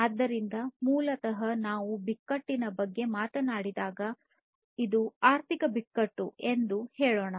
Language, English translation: Kannada, So, basically if we talk about crisis so, let us say that this is the economic crisis